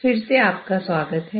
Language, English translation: Hindi, Okay, welcome back